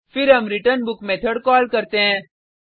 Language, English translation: Hindi, Then we call returnBook method